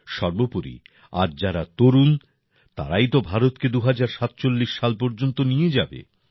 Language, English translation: Bengali, After all, it's the youth of today, who will take are today will take India till 2047